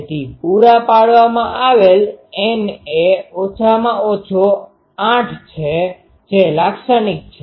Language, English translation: Gujarati, So, provided N is at least 8 which is typical